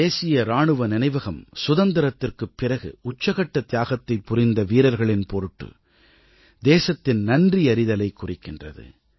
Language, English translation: Tamil, The National Soldiers' Memorial is a symbol of the nation's gratitude to those men who made the supreme sacrifice after we gained Independence